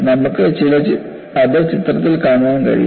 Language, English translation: Malayalam, And you can see that in the picture